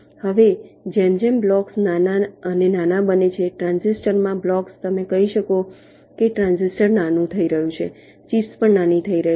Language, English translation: Gujarati, now, as the blocks becomes smaller and smaller, blocks in the transistor, you can say the transistor is becoming smaller, the chips are also becoming smaller